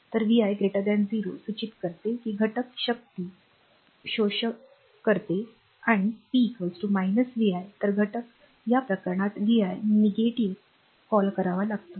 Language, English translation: Marathi, So, vi greater than 0 implies that the element is absorbing power and when p is equal to when p is equal to minus vi right